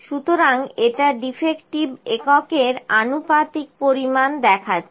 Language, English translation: Bengali, So, it is showing the proportion of defective units